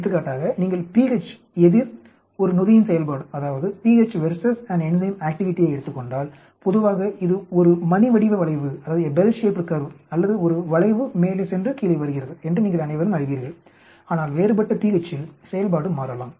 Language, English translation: Tamil, For example, if you take pH verses an enzyme activity, generally you all know it is a bell shaped curve or it is a curve going up and coming down and so on but at different pH's the activity may vary